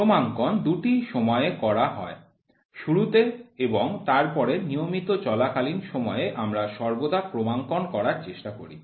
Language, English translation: Bengali, Calibration is done at two times; at the beginning and then regularly while running we always try to do calibration